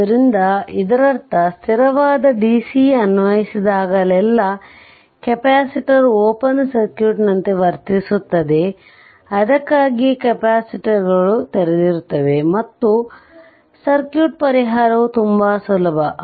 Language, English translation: Kannada, So, this that means, how to that means whenever steady dc is applied right, capacitor will behave like open circuit that is why capacitors are open and circuits solution is very easy right